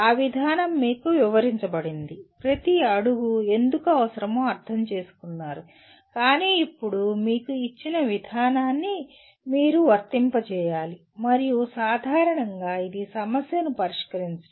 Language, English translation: Telugu, That procedure is explained to you, possibly understand why each step is necessary but then you have to apply the procedure that is given to you and generally it is to solve a problem